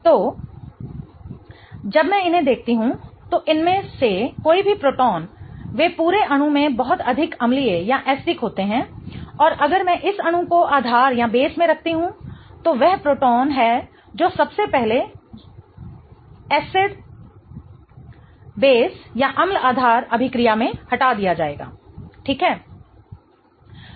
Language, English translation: Hindi, So, when I look at these, any of these protons they are much more acidic in the entire molecule and if I put this molecule in base that is the proton that will be first removed in an acid base reaction